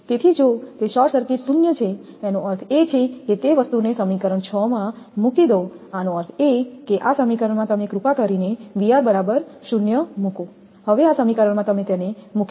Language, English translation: Gujarati, So, if it is short circuited zero that means, put that thing in equation six; that means, in this equation you please put V r is equal to 0 in this equation you please put it